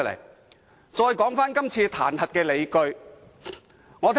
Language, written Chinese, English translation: Cantonese, 現在談談今次彈劾的理據。, I would like to talk about the justifications for the impeachment